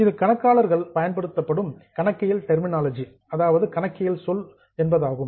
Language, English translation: Tamil, This is the terminology which accountants use